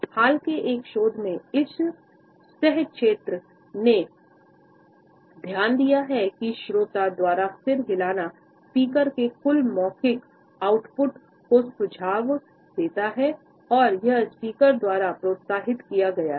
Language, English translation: Hindi, In a more recent research this co field has noted that head nods by the listener increase the total verbal output of this speaker, that suggest that this speaker is encouraged by the attentive head nods of the listener